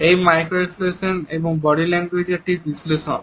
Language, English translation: Bengali, It is an analysis of micro expressions and body language